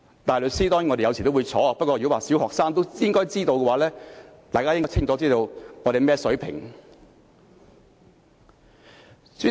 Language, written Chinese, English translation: Cantonese, 大律師，當然我們有時候也會出錯，不過如果說小學生也應該知道，大家便應該清楚知道我們的水平是怎樣。, Counsel we will definitely make mistakes sometimes but if you said even primary students should have known then Members should have a clear idea of our level